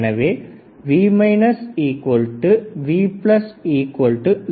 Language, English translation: Tamil, V minus is 0